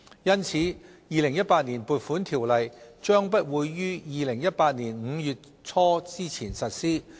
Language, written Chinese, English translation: Cantonese, 因此，《2018年撥款條例》將不會於2018年5月初前實施。, As such the Appropriation Ordinance 2018 would not come into operation before early May 2018